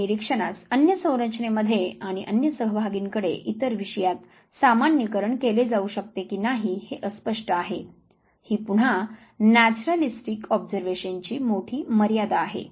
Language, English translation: Marathi, And it is often unclear whether observation can be generalized to other settings and to other participants other subjects; that is again big limitation of naturalistic observation